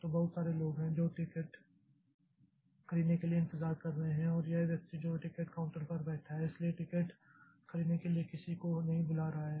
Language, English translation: Hindi, So, there are so many people who are waiting for buying the ticket and this fellow, this person that is sitting at the ticket counter so is not calling anybody to buy ticket